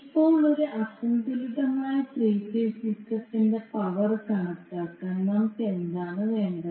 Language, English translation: Malayalam, Now to calculate the power in an unbalanced three phase system, what we require